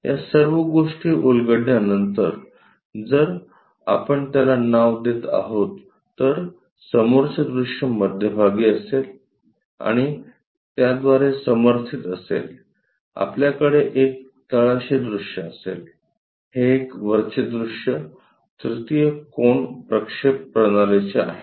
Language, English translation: Marathi, After unfolding all these things, if we are naming it, the front view will be at middle and supported by that, we will have a bottom view, a top view this is for third angle projection system